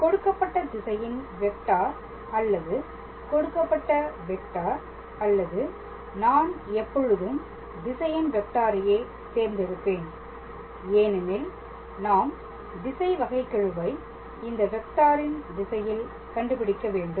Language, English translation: Tamil, Now, the given direction vector or the given vector or I also prefer to call it as direction vector, because we have to calculate the directional derivative along the direction of this vector ok